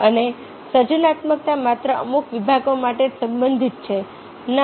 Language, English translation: Gujarati, and creativity is only relevant to certain departments